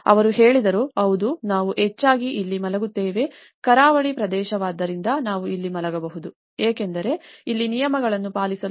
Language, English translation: Kannada, So, then they said, yeah we mostly sleep here being a coastal area we can sleep there because that 5000 was not sufficient for us to keep all the rules